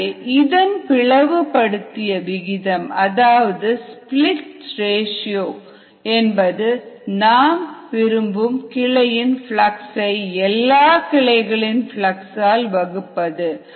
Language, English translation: Tamil, so the split ratio, as it is called this, is flux through the desired branch divided by the sum of fluxes through all branches